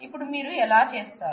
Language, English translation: Telugu, So, how do you